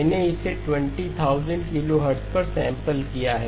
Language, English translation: Hindi, I have sampled it at 20,000 kilohertz